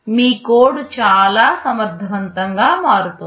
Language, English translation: Telugu, Your code is becoming so much more efficient